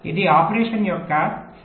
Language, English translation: Telugu, this is the correct scenario of operation